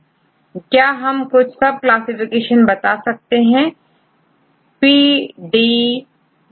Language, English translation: Hindi, So, can you tell some classification from PBD